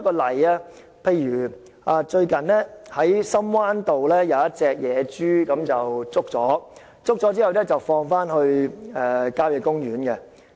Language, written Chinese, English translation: Cantonese, 例如，最近在深灣道有一隻野豬被捕捉，然後放回郊野公園。, For example a wild pig was recently trapped in Shum Wan Road and it was returned to the country park